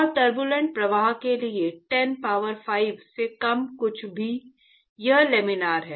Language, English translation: Hindi, And for Turbulent flow, anything less than 10 power 5, it is Laminar